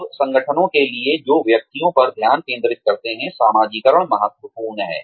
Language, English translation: Hindi, Now, for organizations, that focus on individuals, socialization is important